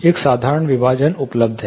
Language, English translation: Hindi, This has a simple partition is available